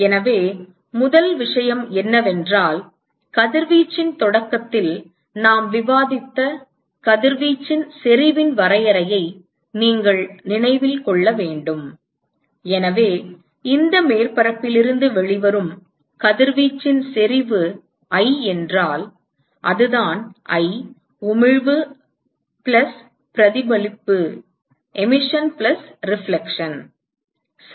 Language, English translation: Tamil, So, the first thing is, so this is you should remember the definition of the radiation intensity that we discussed at the start of radiation, so that is the supposing if I is the intensity of radiation that comes out of this surface, and that is i, emission plus reflection right